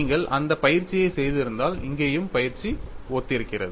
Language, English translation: Tamil, If you had done that exercise, here also the exercise is similar